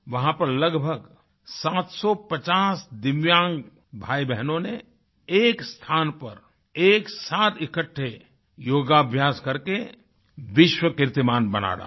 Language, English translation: Hindi, Around 750 divyang brothers and sisters assembled at one place to do yoga and thus created a world record